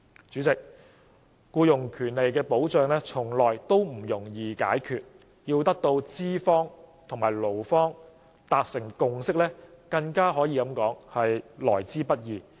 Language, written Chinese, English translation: Cantonese, 主席，僱傭保障從來都不容易解決，要得到資方和勞方達成共識更是來之不易。, President employment protection is never an easy issue to solve . It is even hard to win a consensus between employers and employees